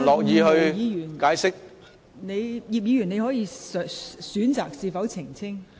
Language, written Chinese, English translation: Cantonese, 葉建源議員，你可以選擇是否澄清。, Mr IP Kin - yuen you may choose whether or not to make an elucidation